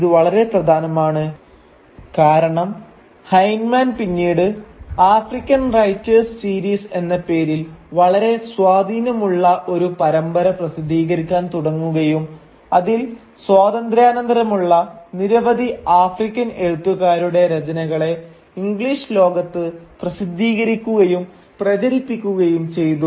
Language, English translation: Malayalam, And this is again important because Heinemann would later on go on to publish a very influential series called the African Writers series, in which they would publish and therefore sort of circulate within the English speaking world a number of post independence African writers